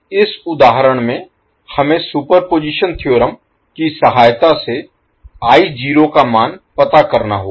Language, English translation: Hindi, Now in this particular example, we need to find the value of I naught with the help of superposition theorem